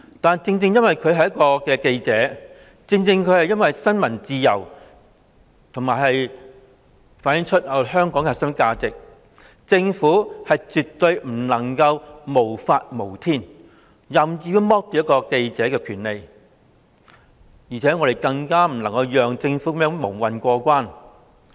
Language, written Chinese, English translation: Cantonese, 但是，正正因為他是一名記者，正正因為新聞自由是香港的核心價值，政府絕不能無法無天，任意剝奪一名記者的權利，我們更不能讓政府這樣蒙混過關。, Since Mr MALLET is a journalist and since freedom of the press is one of the core values of Hong Kong the Government certainly should not act lawlessly and should not arbitrarily deprive a journalist of his right . We cannot let the Government muddle through